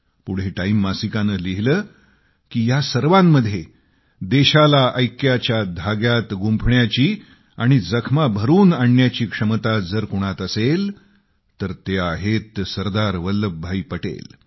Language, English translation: Marathi, The magazine further observed that amidst that plethora of problems, if there was anyone who possessed the capability to unite the country and heal wounds, it was SardarVallabhbhai Patel